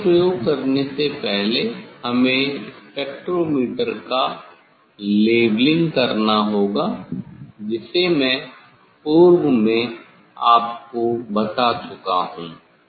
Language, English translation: Hindi, next before doing experiment we have to we have to we have to do leveling of the spectrometers; that already I have told you